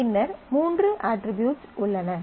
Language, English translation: Tamil, And then there are three attributes